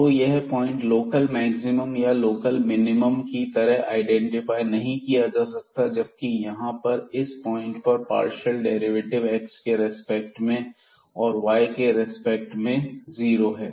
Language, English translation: Hindi, So, this point we cannot identify as the local maximum or local minimum though the partial derivatives here at this point was 0 with respect to x and with respect to y but